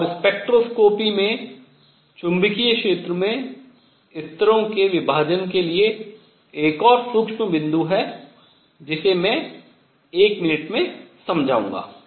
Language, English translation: Hindi, And the spectroscopy there is one more subtle point for the splitting of levels in magnetic field which I will explain in a minute